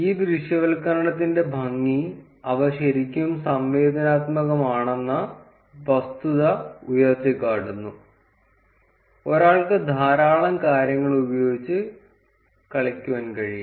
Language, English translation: Malayalam, The beauty of these visualizations highlight the fact that they are really interactive; one can play around with a lot of things